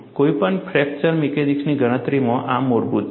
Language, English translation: Gujarati, This is basic in any fracture mechanics calculation